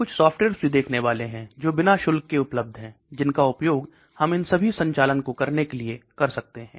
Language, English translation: Hindi, We are also going to look at certain softwares which are freely available, which we can use for performing all these operations